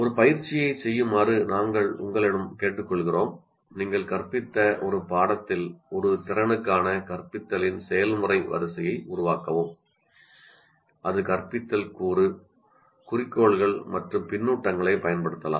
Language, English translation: Tamil, So we request you to do an exercise, construct a process sequence of instruction for a competency in a subject that you taught that can use or already use the instructional component goals and feedback